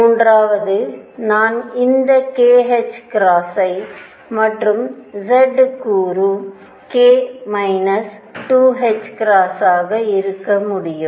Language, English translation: Tamil, Third I could have this k h cross and the z component would be k minus 2 h cross